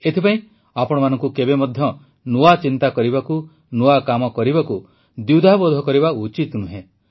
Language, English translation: Odia, That is why you should never hesitate in thinking new, doing new